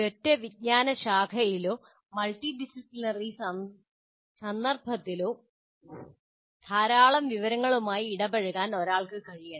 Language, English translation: Malayalam, So one should be able to engage with a lot of information across a single discipline or multidisciplinary context